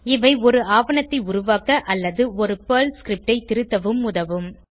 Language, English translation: Tamil, These will help you to create a documentation or debug a PERL script